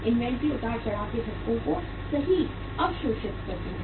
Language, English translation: Hindi, Inventory absorbs the shocks of fluctuations right